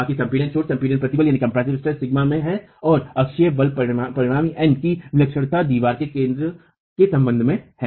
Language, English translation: Hindi, The rest is in compression, edge compressive stress sigma and the eccentricity of the axial force resultant N is e with respect to the centre line of the wall itself